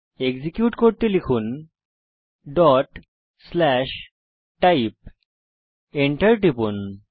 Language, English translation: Bengali, To execute, type ./type.Press Enter